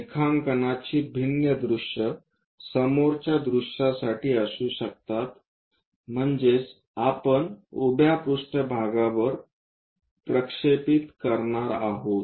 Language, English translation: Marathi, The different views of a drawing can be the front view that means, we are going to project it on to the vertical plane